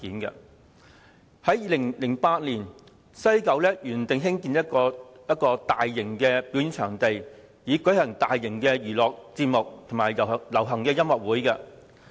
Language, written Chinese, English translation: Cantonese, 早在2008年，西九文化區原定計劃興建一個大型表演場地，以舉行大型娛樂節目及流行音樂會。, As early as 2008 it was planned that a mega performance venue would be built in WKCD to hold mega entertainment events and pop concerts